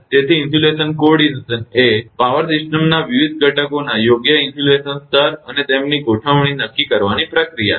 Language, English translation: Gujarati, So, insulation coordination is the process of determining the proper insulation level of various components in a power system, and their arrangement